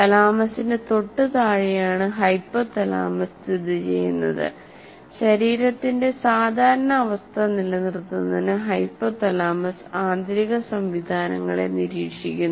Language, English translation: Malayalam, As we said, hypothalamus is located just below thalamus and hypothalamus monitors the internal systems to maintain the normal state of the body